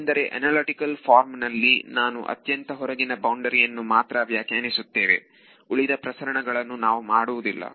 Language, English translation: Kannada, Because in analytical form I am defining it only on the outermost boundary the rest of the propagation which we are not actually doing, but the equations are doing it